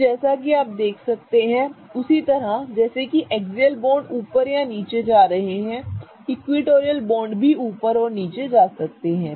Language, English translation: Hindi, So, as you can see similarly as the axial bonds could be going up or down, equatorial bonds can also go up and down